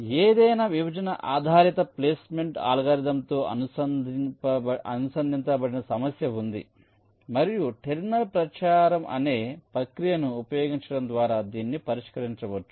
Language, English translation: Telugu, fine, now there is an associated problem with any partitioning based placement algorithm, and this can be solved by using a process called terminal propagation